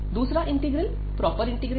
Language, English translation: Hindi, So, this is a proper integral